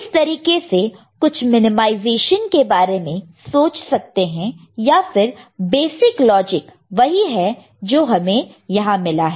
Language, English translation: Hindi, So, accordingly certain minimization you can think of otherwise the basic logic in which this is what we are arrived at